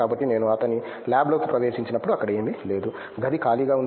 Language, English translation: Telugu, So, when I entered his lab nothing was there, it is like room is empty